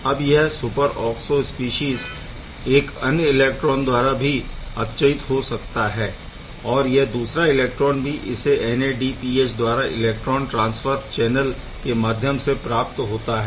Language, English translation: Hindi, Now this superoxide species this is iron III superoxide species can then also be further reduced by another electron; once again from the NADPH or that electron transfer conduit overall channel of the electron transfer